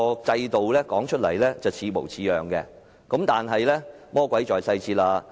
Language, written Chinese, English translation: Cantonese, 制度看來似模似樣，但魔鬼在細節中。, The system may seem to be desirable but the devil is in the details